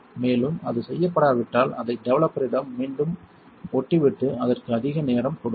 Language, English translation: Tamil, And, if it was not done just stick it back to the developer and give it more time